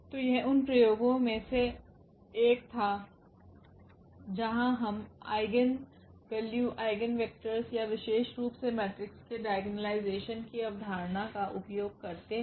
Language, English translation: Hindi, So, here was the one of the applications where we use this eigenvalues, eigenvectors or in particular this idea of the diagonalization of the matrix